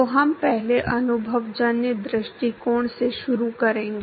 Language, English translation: Hindi, So, we will start with empirical approach first